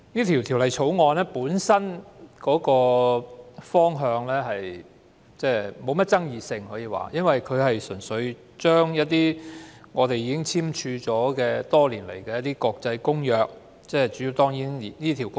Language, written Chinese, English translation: Cantonese, 《條例草案》本身沒有太大爭議性，因為純粹是要落實香港已簽署多年的《國際集裝箱安全公約》。, The Bill itself is not too controversial as it merely seeks to implement the International Convention for Safe Containers which Hong Kong signed many years ago